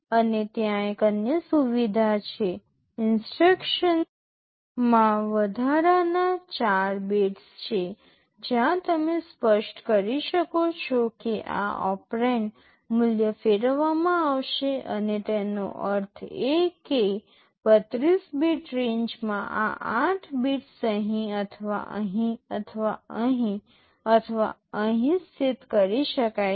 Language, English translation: Gujarati, And there is another facility, there are additional 4 bits in the instruction where you can specify that these operand value will be rotated and means within that 32 bit range these 8 bits can be positioned either here or here or here or here